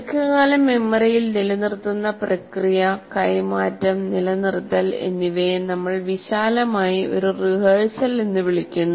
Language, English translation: Malayalam, Now we talk about the process of retaining in the long term memory, both transfer as well as retention, what we broadly call rehearsal